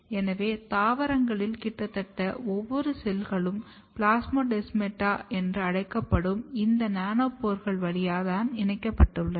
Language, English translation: Tamil, So, symplastic cell to cell communication is basically through a nanopore between two cells, which is called plasmodesmata